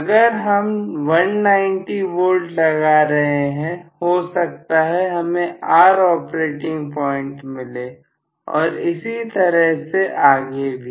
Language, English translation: Hindi, If I apply, say 200 and rather 190 volts, maybe I am going to get the operating point as R and so on